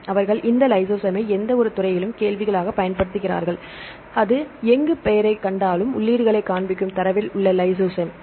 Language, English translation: Tamil, So, they use this lysozyme as a query in any of the fields right and wherever it finds the name; the lysozyme in the data that will display the entries